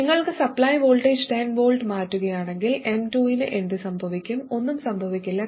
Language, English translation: Malayalam, If you change this supply voltage to n volts, what happens to m2